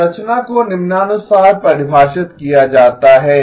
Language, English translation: Hindi, The structure is defined as follows